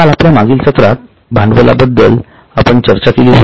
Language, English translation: Marathi, Yesterday we had discussed in the last session we had discussed about capital